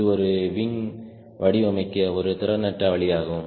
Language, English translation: Tamil, so that is a inefficient way of designing a wing